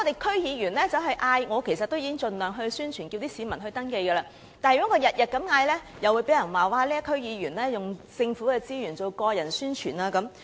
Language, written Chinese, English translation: Cantonese, 區議員已經盡量宣傳，呼籲市民登記，但如果每天都作出呼籲，又會有人說區議員利用政府資源作個人宣傳。, DC members have already tried to do as much publicity as possible calling on the public to make registrations . But if they do it every day they will be accused of exploiting government resources for personal publicity